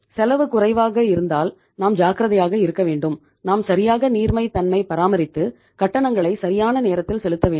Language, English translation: Tamil, So if sometime cost is lesser then we have to be careful we have to maintain the proper liquidity and make the payment on time